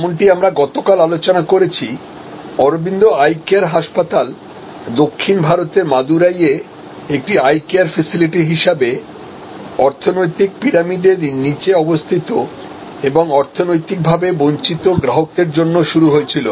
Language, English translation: Bengali, Like we discussed yesterday, Arvind Eye Care Hospital started as an eye care facility in southern India for in Madurai for consumers at the bottom of the economic pyramid, economically deprived consumers